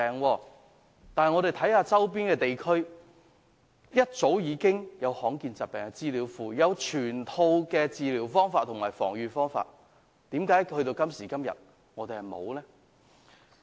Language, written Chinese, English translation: Cantonese, 可是，我們的周邊地區早已設立罕見疾病資料庫，備有全套治療方法和防預方法的資料，為何我們直至今天仍未做呢？, However our neighbouring places have already set up databases for rare diseases together with detailed information on treatment and prevention . Why are we still lagging behind?